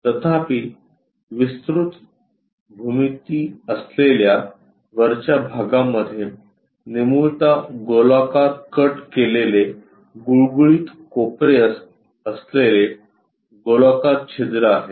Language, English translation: Marathi, However, the top portion having wider geometry, it has a circular hole, a tapered cut rounded into smooth corners